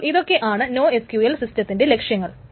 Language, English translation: Malayalam, So these are the goals of the no SQL systems